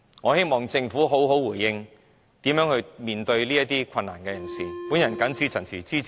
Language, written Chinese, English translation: Cantonese, 我希望政府能好好回應，如何面對這些有困難的人士......, I hope the Government can provide a proper response on how it will face these people whose lives are plagued with difficulties